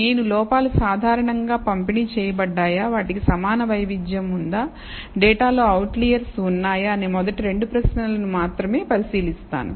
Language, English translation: Telugu, So, I am going to only address the first 2 questions, whether the errors are normally distributed, whether they have equal variance and whether there are outliers in the data